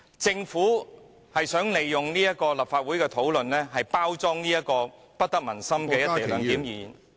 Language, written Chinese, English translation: Cantonese, 政府想利用立法會的討論，包裝這項不得民心的"一地兩檢"議案......, The Government is seeking to take advantage of the discussion in the Legislative Council to package this unpopular motion on the co - location arrangement